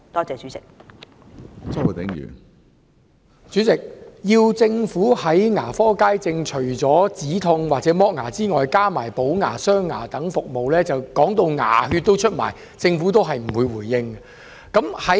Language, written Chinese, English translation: Cantonese, 主席，除了止痛及脫牙之外，要政府在牙科街症加入補牙、鑲牙等服務，我們說到牙血也流出來了，但政府也不作回應。, President pain relief and teeth extraction aside we have urged the Government to also include in general public sessions such services as fillings and dentures and we have talked about it so much that our gums have started bleeding but the Government has still given no response